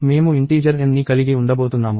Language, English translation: Telugu, I am going to have an integer n